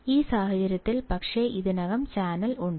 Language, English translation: Malayalam, In this case but, there is already channel